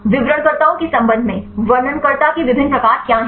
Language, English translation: Hindi, With respect to descriptors what are the different types of descriptors